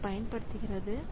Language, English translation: Tamil, So, it was using that